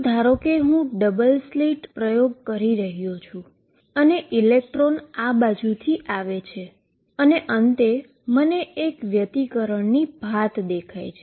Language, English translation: Gujarati, What I mean to say in this is suppose I am doing a double slit experiment, with electrons coming from this side and finally, I see an interference pattern